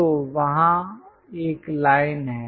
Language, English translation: Hindi, So, there is a line